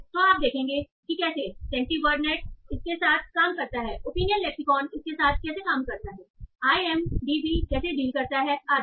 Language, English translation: Hindi, So you will see how CentiWordnett deals with it, how opening lexicon deals with it, how IMDB deals with it, and so on